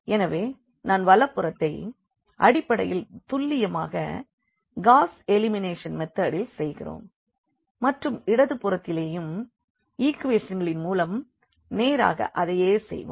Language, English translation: Tamil, So, the right hand side here I will be basically doing precisely what we do in Gauss elimination method and the left hand side we will be doing the same thing with the equations directly